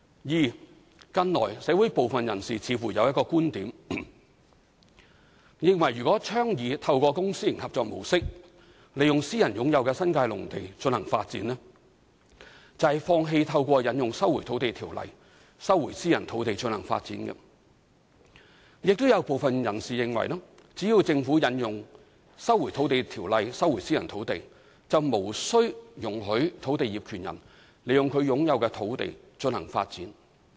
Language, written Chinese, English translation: Cantonese, 二近來，社會部分人士似乎有一種觀點，認為若倡議透過公私營合作模式利用私人擁有的新界農地進行發展，便是放棄透過引用《收回土地條例》收回私人土地進行發展；亦有部分人士認為只要政府引用《收回土地條例》收回私人土地，便無需容許土地業權人利用其擁有的土地進行發展。, 2 Recently there seems to be a view within the community that advocating public - private partnership to develop private agricultural land reserve in the New Territories would mean the Government giving up the right to resume private land through invoking LRO for development; or that when the Government invokes LRO to resume private land it will no longer be necessary to allow land owners to use their privately - owned land for development